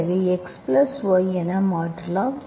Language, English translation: Tamil, So the left hand side is x dx plus y dy